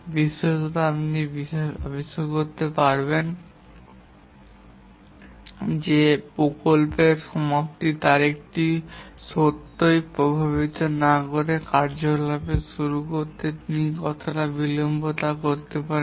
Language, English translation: Bengali, In particular, he can find how much he can delay the activity, the starting of the activity, without really affecting the project completion date